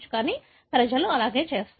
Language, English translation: Telugu, But, that is how people do it